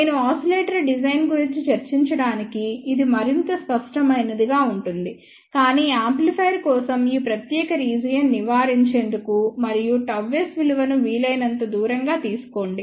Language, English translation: Telugu, This will be more clear, when I discuss about the oscillator design, but for amplifier please avoid this particular region and take gamma s value which is as far as possible